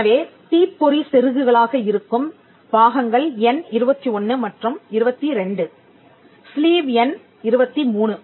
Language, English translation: Tamil, So, the parts that are spark plugs are number 21 and 22, sleeve is number 23, the similar